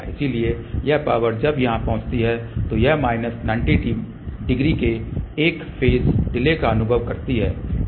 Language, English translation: Hindi, So, this power when it reaches here it experiences a phase delay of minus 90 degree